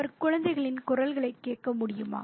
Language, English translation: Tamil, Could he hear the children's voices